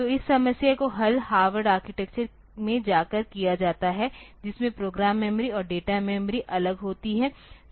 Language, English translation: Hindi, So, this problem is solved by going to the Harvard architecture in which the program memory and the data memory they are separate